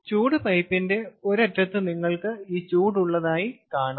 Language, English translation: Malayalam, so on one end of the heat pipe, as you can see, we have this heat in